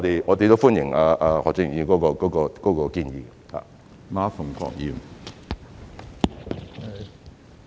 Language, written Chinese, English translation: Cantonese, 我們歡迎何俊賢議員的建議。, We welcome Mr Steven HOs suggestion